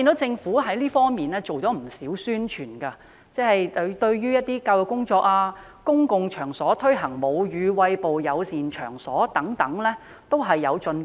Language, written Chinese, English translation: Cantonese, 政府在這方面進行不少宣傳，有關的教育工作及在公共場所推廣"母乳餵哺友善場所"均有進步。, The Government has carried out a lot of publicity in this regard and there have been improvements in terms of education and promotion of Breastfeeding Friendly Premises in public places